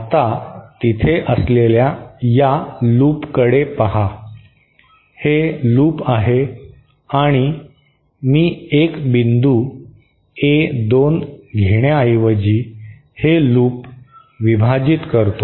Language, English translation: Marathi, Now look at this loop that is there, this is the loop and what I do is instead of having a single point A2, let me split this loop